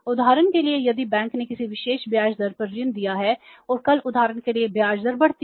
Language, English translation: Hindi, Now for example if the bank has given any particular loan at a particular rate of interest and tomorrow for example the interest rate goes up